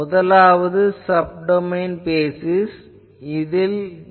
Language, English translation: Tamil, What is sub domain basis